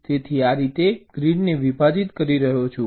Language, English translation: Gujarati, so i am splitting the grid like this